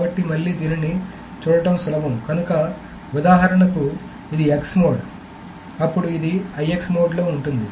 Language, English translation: Telugu, So what it should be doing is that it is going to lock this in X mode, then this is IX mode, this is IX mode, and this is IX